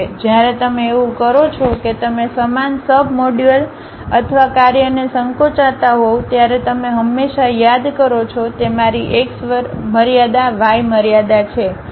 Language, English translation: Gujarati, When you do that you are basically shrinking the same sub module or function you are all the time calling these are my x limits, y limits